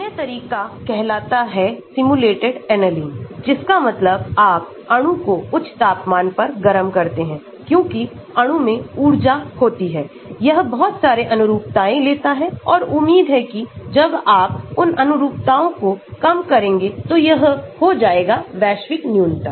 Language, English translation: Hindi, Another approach is called simulated annealing that means you heat the molecule to higher temperature because of the energy the molecule has, it takes lot of conformations and hopefully when you minimize those conformations it will lead to a global minimum